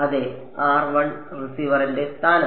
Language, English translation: Malayalam, Yeah that is the location of the receiver right